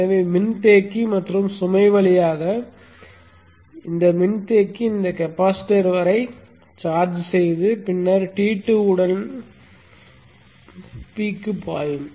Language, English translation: Tamil, So the inductor will charge up this capacitance in this way through the capacitor and the load and then go from T to P